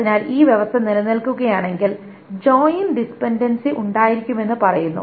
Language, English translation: Malayalam, So if this condition holds, then there says to be joint dependency